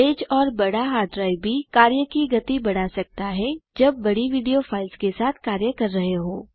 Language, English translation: Hindi, Fast and large hard drives can also speed up work when dealing with large video files